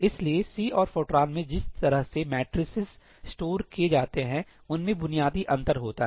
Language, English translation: Hindi, So, there is a basic difference in the way matrices are stored in C and Fortran